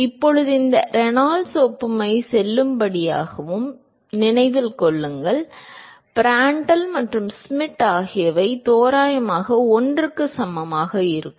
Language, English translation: Tamil, Now, remember that this Reynolds analogy is valid only when Prandtl and Schmidt are equal to approximately equal to 1